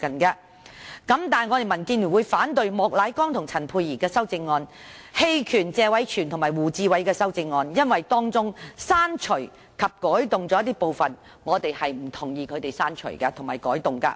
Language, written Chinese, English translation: Cantonese, 但是，民建聯會反對莫乃光議員和陳沛然議員的修正案，並就謝偉銓議員和胡志偉議員的修正案投棄權票，因為當中的刪除及改動，我們是不同意的。, But DAB will oppose the amendments of Mr Charles Peter MOK and Dr Pierre CHAN and abstain from voting on the amendments of Mr Tony TSE and Mr WU Chi - wai because we do not agree to the deletions and amendments therein